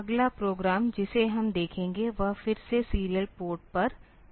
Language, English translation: Hindi, The next program that we will look into is again on the serial port